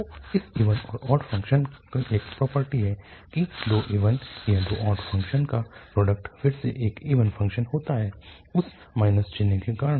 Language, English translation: Hindi, So there is a property of this even and odd function so the product of two even or two odd functions is again an even function, because of that minus sign